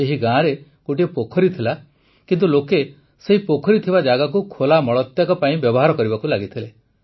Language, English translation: Odia, There used to be a pond in this village, but people had started using this pond area for defecating in the open